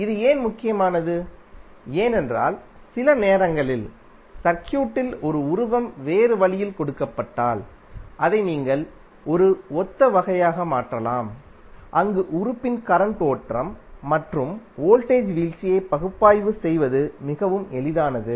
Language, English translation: Tamil, Why it is important because sometimes in the circuit if it is given a the figure is given in a different way you can better convert it into a similar type of a circuit where it is very easy to analysis the current flow and the voltage drop across the element